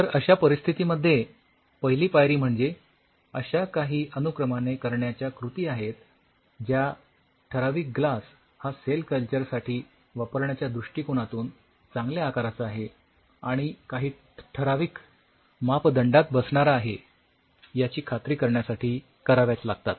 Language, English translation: Marathi, So, in that situation the first step, there are some step wise procedure which has to be followed in order to ensure that the glass is in a good shape to be used for cell culture and it follows a certain specific protocol